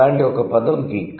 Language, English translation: Telugu, One such word is geek